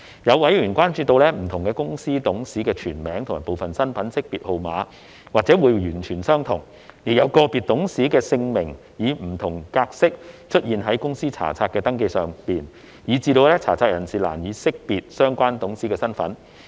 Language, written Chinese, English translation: Cantonese, 有委員關注到，不同公司董事的全名及部分身份識別號碼或會完全相同，亦有個別董事的姓名以不同格式出現於公司查冊的登記上，以致查冊人士難以識別相關董事身份。, Some members were concerned that the full names and partial identification numbers of different directors of companies might be identical and different patterns of the name of an individual director were shown on the Register making it difficult for searchers to ascertain the identity of the director concerned